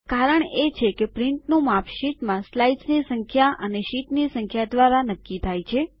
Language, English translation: Gujarati, This is because the size of the print is determined by the number of slides in the sheet and size of the sheet